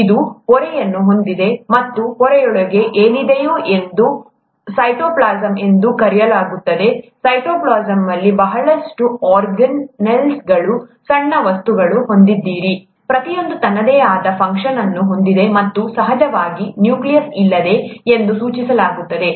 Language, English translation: Kannada, This has a membrane, and inside the membrane whatever is there is called the cytoplasm, and in the cytoplasm you have a lot of organelles, small small small things, that have, each one has their own function, and of course the nucleus is here, indicated here which contains DNA and other things, okay